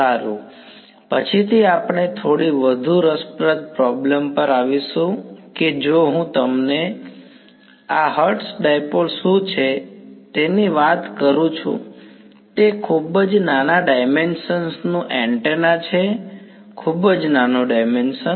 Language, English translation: Gujarati, Well, later on we will come to a little more interesting problem that if I give you; so, what is this Hertz dipole that I am talking about, it is an antenna of very very small dimension; very very tiny dimension